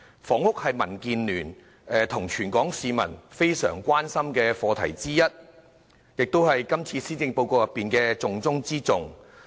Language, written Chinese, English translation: Cantonese, 房屋是民建聯及全港市民非常關心的課題之一，亦是今次施政報告的重中之重。, Housing is one of the issues of concern to DAB and all Hong Kong people with top priority being given to it in the Policy Address